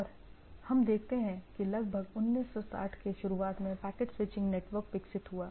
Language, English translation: Hindi, And we see that in around 60’s early 60’s the packet switching network developed